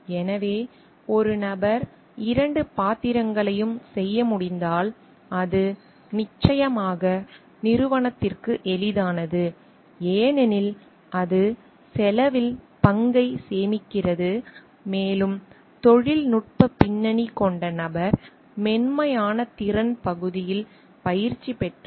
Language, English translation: Tamil, So, because if one person can do both the roles then it is of course, easy for the organization to because it is saving on the role on the cost and also because the person with technical background if he can be trained on the soft skill part on the behavioral aspect part